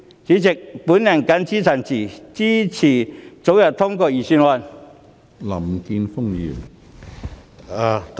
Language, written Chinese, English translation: Cantonese, 主席，我謹此陳辭，支持早日通過預算案。, With these remarks President I support the early passage of the Budget